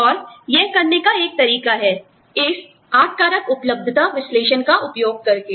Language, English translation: Hindi, And, one way of doing it is, by using this, 8 factor availability analysis